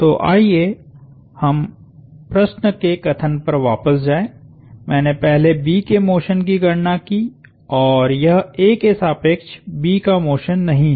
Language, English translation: Hindi, So, I first computed, let us go back to the problem statement, I first computed the motion of B and it is not motion of B about A